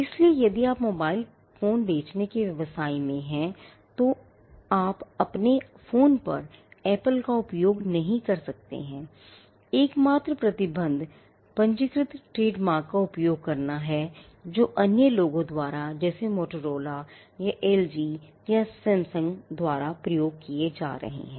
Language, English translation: Hindi, So, if you are in the business of selling mobile phones, you cannot use Apple on your phone that is it; the only restriction is using registered trademarks, which are held by others say Motorola or LG or Samsung